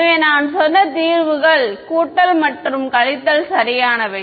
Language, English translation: Tamil, So, the solutions I said I mentioned are both plus and minus right